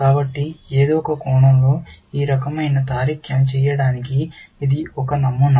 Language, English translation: Telugu, So, in some sense, this is the model for doing this kind of reasoning